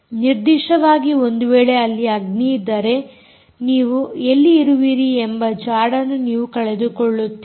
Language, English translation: Kannada, particularly if there is fire, you often lose track of where you are right